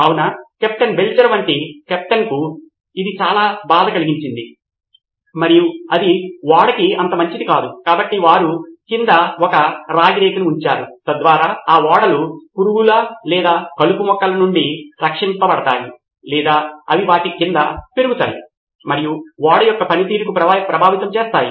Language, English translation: Telugu, So it was a pain for the captain, captain like Belcher and that was not so good for the ship so they put up a copper sheet underneath so that it is protected from the ship worms as they were called or weeds which grew underneath and affected the performance of the ship